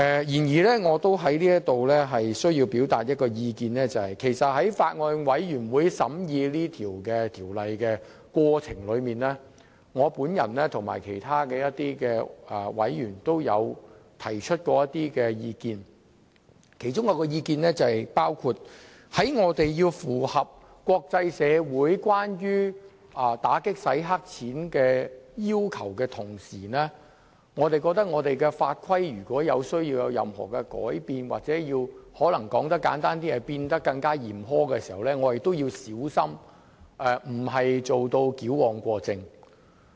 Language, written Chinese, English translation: Cantonese, 不過，我想在此表達一些意見，就是在法案委員會審議《條例草案》的過程中，我和其他委員曾提出一些意見，包括一旦我們要為符合國際社會有關打擊洗黑錢的要求而要在法規方面作出任何改變時，或簡單來說就是令法規變得更嚴苛，我們必須小心，以免矯枉過正。, However I would like to express some views here . During the scrutiny of the Bill by the Bills Committee other members and I gave some views including that if we are to make any changes to laws and regulations or to put it simply make them more stringent to meet the international communitys requirements on combating money laundering we must be careful not to overcorrect